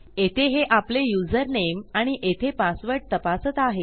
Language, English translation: Marathi, Thats checking our username there and this is checking our password